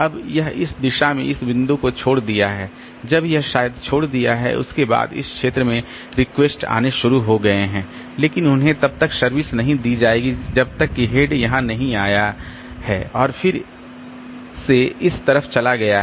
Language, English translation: Hindi, When it has left this point in this direction when it has left maybe after that the request requested started coming in region but they will not be served till the head has come here and again it has gone to this side